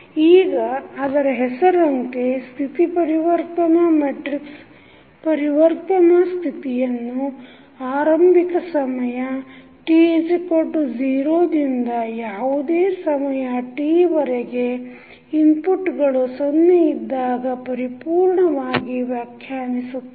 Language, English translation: Kannada, Now, as the name applies, you see the state transition matrix, so the state transition matrix completely defines the transition of the state from the initial time t is equal to 0 to any time t when the inputs are zero